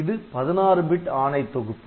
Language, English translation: Tamil, So, 16 bits 16 bit is selected